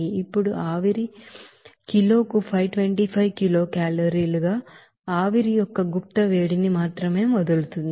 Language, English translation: Telugu, Now, the steam gives up only its latent heat of vaporization as 525 kilocalorie per kg